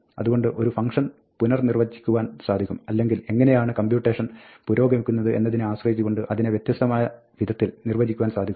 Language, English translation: Malayalam, So, as you go along, a function can be redefined, or it can be defined in different ways depending on how the computation proceeds